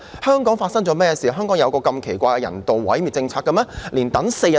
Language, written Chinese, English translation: Cantonese, 香港發生甚麼事，有一項如此奇怪的人道毀滅政策？, What is wrong with Hong Kong for it to have such a strange policy on euthanasia?